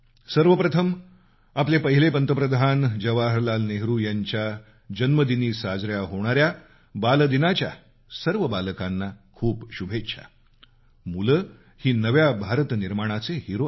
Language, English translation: Marathi, First of all, many felicitations to all the children on the occasion of Children's Day celebrated on the birthday of our first Prime Minister Jawaharlal Nehru ji